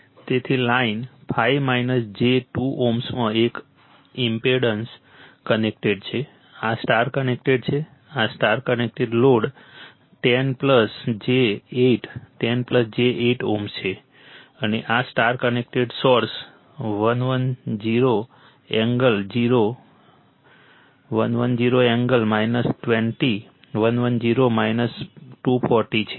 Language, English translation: Gujarati, So, in the line 5 minus j 2 ohm one impedance is connected, this is star connected, this is star connected, load 10 plus j 8 10 plus j 8 ohm and this is your star connected source 110 angle 0 110 angle minus 120 110 minus 240